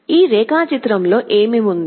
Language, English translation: Telugu, What does this diagram contain